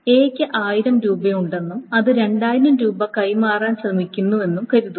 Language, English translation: Malayalam, Is that suppose A has $1,000 and it is trying to transfer $2,000